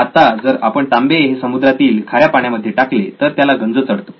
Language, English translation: Marathi, Now if we put copper in seawater it becomes corroded